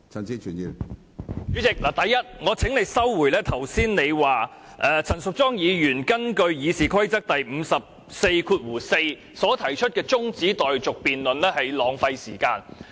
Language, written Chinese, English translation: Cantonese, 主席，第一，我請你收回你剛才說陳淑莊議員根據《議事規則》第544條提出的中止待續議案辯論是浪費時間這句說話。, President first I urge you to withdraw your earlier remark that it is a waste of time for Ms Tanya CHAN to propose a motion on adjournment of debate under Rule 544 sic of the Rules of Procedure